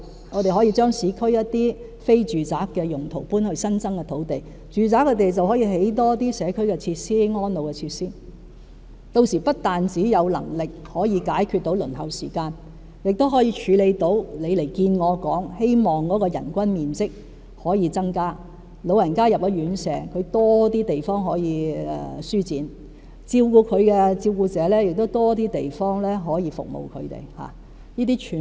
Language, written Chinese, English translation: Cantonese, 我們可以將市區一些非住宅用途項目遷往新增土地，住宅土地便可興建更多社區和安老設施，屆時不但有能力解決輪候時間問題，亦可處理張議員早前與我見面時所提出的問題，希望增加院舍人均面積，讓老人家進了院舍後有更多地方舒展，照顧者亦有更多地方提供服務。, We can relocate some non - residential projects in the urban areas to newly developed land while building more community and elderly care facilities on residential sites . We will then have the ability not only to solve the problem of waiting time but also hopefully address an issue Dr CHEUNG raised with me sometime ago―increasing the area of floor space per resident in elderly care homes so that elderly persons in care homes can live more comfortably and carers can render their services in a more spacious environment